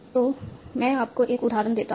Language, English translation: Hindi, So, let me give you an example